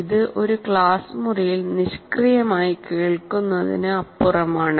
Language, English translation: Malayalam, It is not merely, it is beyond passive listening in a classroom